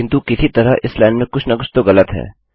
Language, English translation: Hindi, But in a way, there is something wrong with that line